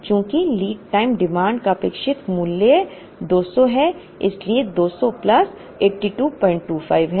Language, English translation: Hindi, Because expected value of lead time demand which is mu is 200 so, 200 plus 82